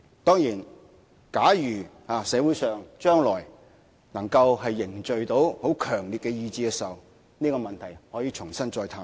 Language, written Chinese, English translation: Cantonese, 當然，假如將來社會上能夠凝聚很強烈的共識，這個問題可以重新探討。, Of course if the community could forge a strong consensus about this proposal in the future the issue could be explored afresh